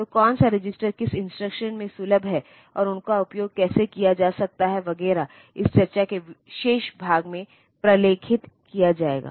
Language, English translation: Hindi, So, which register is accessible in which instruction, and how they can be used etcetera; that will be documented in the remaining part of this discussion